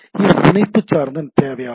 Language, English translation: Tamil, So, it is a connection oriented service